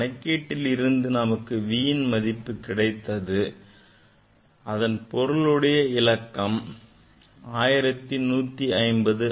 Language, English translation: Tamil, Reason is that; so, v we got from calculation the significant figure this v is 1150 right 1150